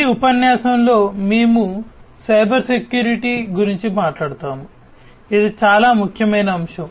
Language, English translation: Telugu, In this lecture, we will talk about Cybersecurity, which is a very important topic